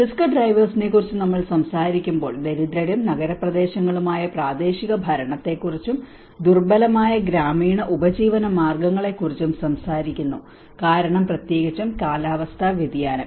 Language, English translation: Malayalam, When we talk about underlying risk drivers, we talk about the poor and urban local governance and the vulnerable rural livelihoods because especially with the climate change